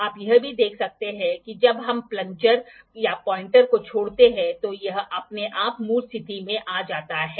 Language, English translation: Hindi, Also you can see that when we leave the dial we leave the plunger sorry or the pointer it comes to the original position by itself